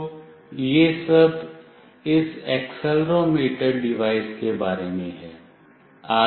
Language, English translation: Hindi, So, this is all about this device accelerometer